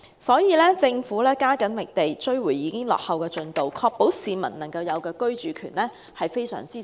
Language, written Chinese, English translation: Cantonese, 所以，政府必須加緊覓地，追回已經落後的進度，確保市民的居住權。, Under these circumstances the Government must step up its efforts in securing land recovering the progress and ensuring peoples right to housing